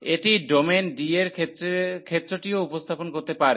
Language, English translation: Bengali, It can also represent the area of the domain d